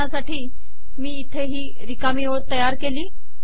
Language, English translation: Marathi, Suppose for example, I create a blank line here